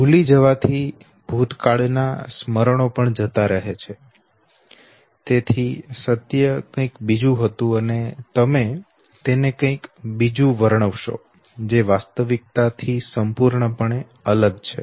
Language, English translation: Gujarati, Also forgetting might also represent the distortion of recollection of the past, so the truth was something else and you narrate something else okay, which is completely devoid of the reality